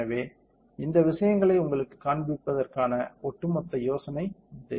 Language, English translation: Tamil, So, this is overall idea of showing these things to you